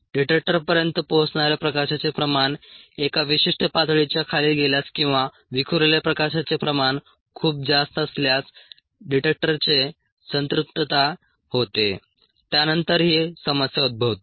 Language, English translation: Marathi, that is because the detector range, if a, the amount of light reaching the detector goes below a certain, or if the amount of light that is scattered is very high, then the detector saturation happens